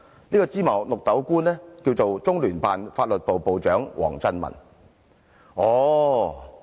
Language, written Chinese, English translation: Cantonese, 這位"芝麻綠豆"官便是中聯辦法律部部長王振民。, This trivial official is WANG Zhenmin the legal chief of the Liaison Office of the Central Peoples Government in the HKSAR